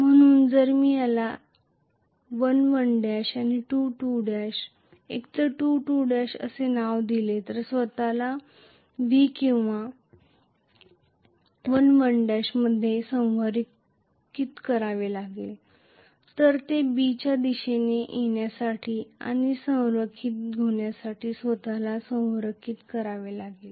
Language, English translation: Marathi, So, if I may name this as 1 1 dash and 2 2 dash either 2 2 dash have to align themselves with V or 1 1 dash have to align themselves you know all the way it has to come towards B and align itself